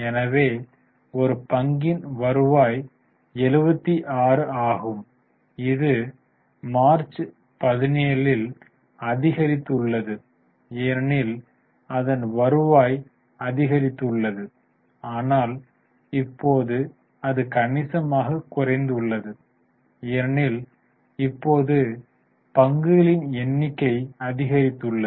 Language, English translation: Tamil, So, 76, the earning per share has increased in March 17 because the profits have gone up but now it has significantly decreased because number of shares have also increased now